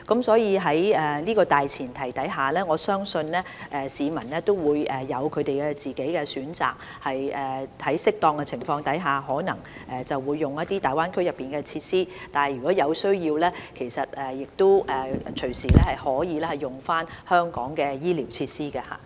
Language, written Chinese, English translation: Cantonese, 所以，在這大前提下，我相信市民會有他們的個人選擇，在適當的情況下，他們可能會使用大灣區內的設施，在有需要時，亦隨時可以使用香港的醫療設施。, Hence on this premise I believe people will have their personal choice; they may use facilities in the Greater Bay Area where appropriate and they can also use the medical facilities in Hong Kong anytime when necessary